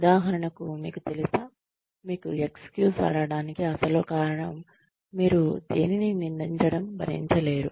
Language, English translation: Telugu, For example, you know, the real reason, you are using, that excuse is that, you cannot bear to be blamed for anything